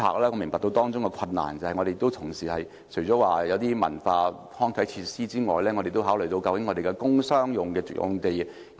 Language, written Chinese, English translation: Cantonese, 我明白到當中的困難，除了文化康體設施之外，同時亦需要考慮究竟如何使用本港的工商業用地。, I understand the difficulties involved . Apart from cultural recreational and sports facilities we also have to consider how we should make use of the commercial and industrial sites